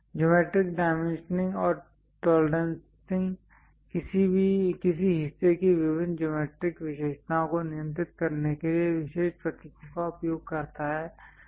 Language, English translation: Hindi, Geometric dimensioning and tolerancing uses special symbols to control different geometric features of a part